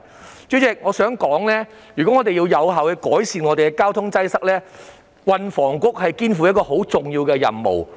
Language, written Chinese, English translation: Cantonese, 代理主席，我想指出，如果我們想有效改善交通擠塞，運房局肩負很重要的任務。, Deputy President I would like to point out that if we want to effectively alleviate traffic congestion THB must shoulder heavy responsibilities